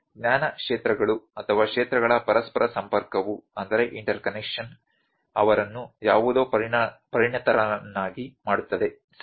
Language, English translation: Kannada, So, that interconnection of the knowledge spheres or fields makes them expert in something, ok